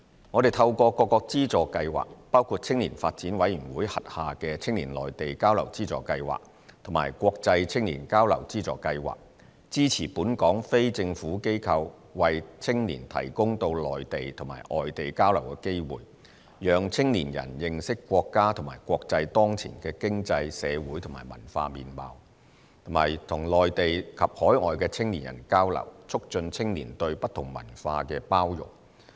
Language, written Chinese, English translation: Cantonese, 我們透過各個資助計劃，包括青年發展委員會轄下的"青年內地交流資助計劃"及"國際青年交流資助計劃"，支持本港非政府機構為青年提供到內地及外地交流的機會，讓青年人認識國家和國際當前的經濟、社會和文化面貌，以及與內地及海外的青年人交流，促進青年對不同文化的包容。, Through various funding schemes including the Funding Scheme for Youth Exchange in the Mainland and the Funding Scheme for International Youth Exchange under the Youth Development Commission YDC we support local NGOs to provide young people with opportunities to take part in exchanges on the Mainland and overseas for enabling their understanding of the prevailing economic social and cultural landscape at the national and international levels and for promoting their acceptance of different cultures through exchanges with young people from the Mainland and overseas